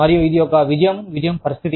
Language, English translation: Telugu, And, it will be, a win win situation